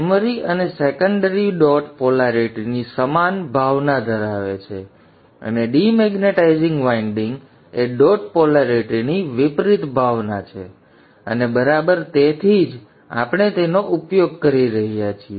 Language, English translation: Gujarati, The primary and the secondary have the same sense of dot polarity and the demaritizing winding is the opposite sense of dot polarity and exactly that is what we are using